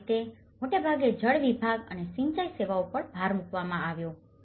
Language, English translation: Gujarati, This is how mostly emphasized on the water segment and the irrigation services as well